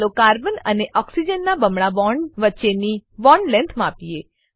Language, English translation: Gujarati, Lets measure the bond length between carbon and oxygen double bond